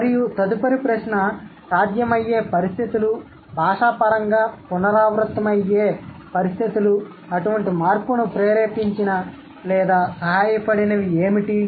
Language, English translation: Telugu, And the fourth question, what could be the possible conditions, cross linguistically recurrent conditions which have instigated or which have helped such kind of a change